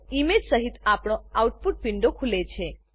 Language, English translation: Gujarati, Our output window opens with the image